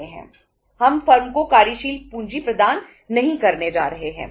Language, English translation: Hindi, We are not going to provide the working capital to the firm